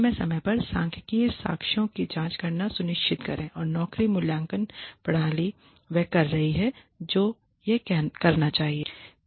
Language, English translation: Hindi, Examine statistical evidence periodically to ensure that the job evaluation system is doing what it is supposed to do